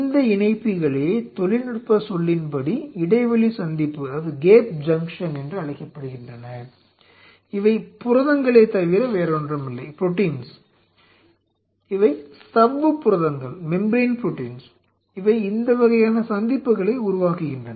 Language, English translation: Tamil, These connectors are called gap junction in technical term and these are nothing, but these are proteins, these are membrane proteins which are forming these kinds of junctions